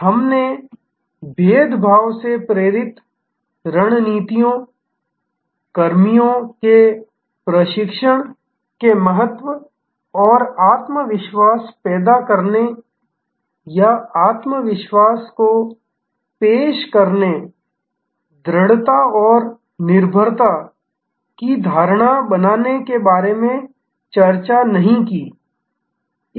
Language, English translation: Hindi, We did not discuss about in differentiation driven strategies, the importance of personnel training and creating the confidence or projecting the confidence, creating the perception of solidity and dependability